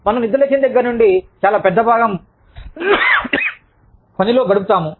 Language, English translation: Telugu, We spend, a very large chunk of our waking time, at work